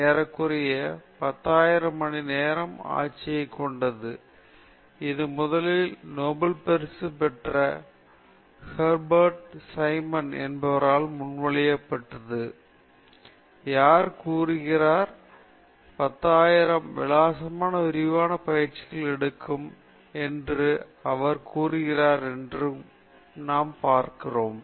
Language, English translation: Tamil, There’s something called the 10,000 hour rule, which was first proposed by Herbert Simon, who is a Nobel Laureate, who says, who said that it takes 10,000 hours of extensive training to excel in anything